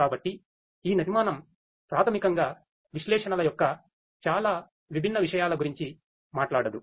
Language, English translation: Telugu, So, this architecture basically does not talk about so many different things of analytics